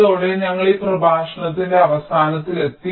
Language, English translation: Malayalam, so so with this we come to the end of this lecture